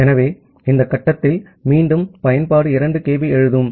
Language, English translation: Tamil, So, at this stage, that then again application does a 2 kB of write